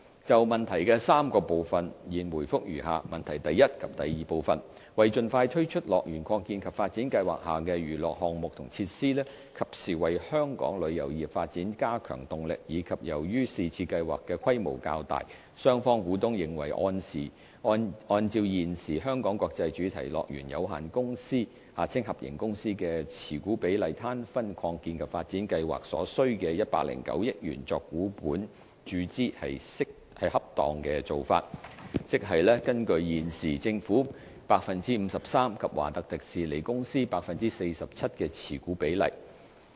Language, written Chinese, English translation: Cantonese, 就質詢的3個部分，現答覆如下：一及二為盡快推出樂園擴建及發展計劃下的娛樂項目和設施，及時為本港旅遊業發展加強動力，以及由於是次計劃的規模較大，雙方股東認為按照現時"香港國際主題樂園有限公司"的持股比率攤分擴建及發展計劃所需的109億元作股本注資是恰當的做法，即是根據現時政府 53% 及華特迪士尼公司 47% 的持股比率。, My reply to the three parts of the question is as follows 1 and 2 In order to enable the launch of the entertainment offerings and attractions under the expansion and development plan as soon as possible and to add impetus to Hong Kongs tourism development in a timely manner and given the relatively large scale of the plan both shareholders of the Hongkong International Theme Parks Limited HKITP consider it appropriate to share the project cost of 10.9 billion according to the existing shareholding ratio ie . 53 % by the Government and 47 % by The Walt Disney Company TWDC as equity injection